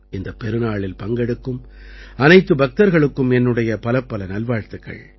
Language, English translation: Tamil, My best wishes to every devotee who is participating in this great festival